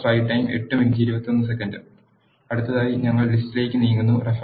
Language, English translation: Malayalam, Next, we move onto list